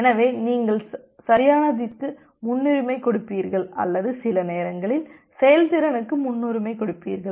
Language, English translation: Tamil, So, you will give the preference over correctness or some time we give preference over performance